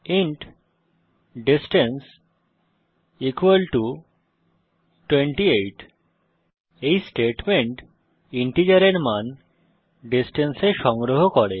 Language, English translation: Bengali, int distance equal to 28 This statement stores the integer value in the name distance